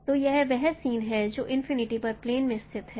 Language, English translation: Hindi, So this is what same points lying at plane at infinity